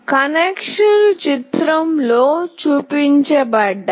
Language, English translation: Telugu, The connections are shown